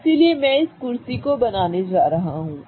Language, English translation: Hindi, So, I'm going to draw this chair